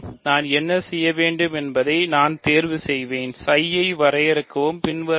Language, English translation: Tamil, So, what I will do is choose, define psi like this, as follows